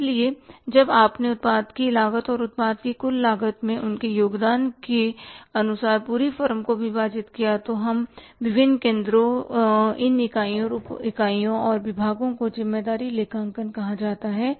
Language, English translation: Hindi, So, when you divided the whole firm according to the cost of the product and their contribution to the total cost of the product, so these different centers, these units of units and departments called as responsibility accounting